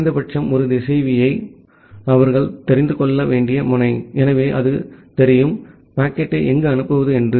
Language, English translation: Tamil, The node they needs to know of at least 1 router, so, that it knows, where to forward the packet